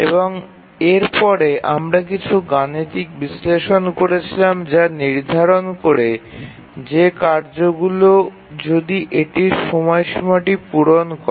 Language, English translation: Bengali, And once we do that, we can do some mathematical analysis to say that if a task set will meet its deadline